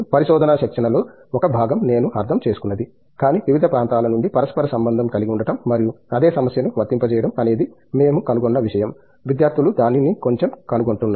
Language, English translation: Telugu, A part of the research training is towards that I understand but, to correlate from different areas and applying the same problem is something that we are finding, the students are finding it bit